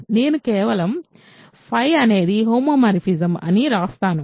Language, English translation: Telugu, So, I will simply write phi is a homomorphism right